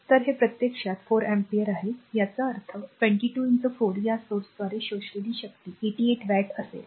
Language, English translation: Marathi, So, this is actually your 4 ampere so; that means, 22 into 4 the power absorbed by this source will be 88 watt